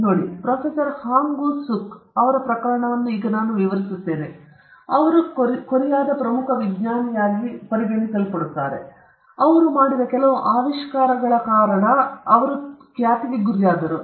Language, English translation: Kannada, See, I will just, very briefly, explain the case of Professor Hwang Woo suk, who is being celebrated as the most important Korean scientist, who shot into fame due to certain inventions he made or rather he claimed that he had made